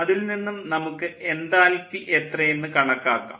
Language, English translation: Malayalam, so from there we can calculate the enthalpy, then ah